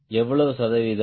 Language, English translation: Tamil, how much percentage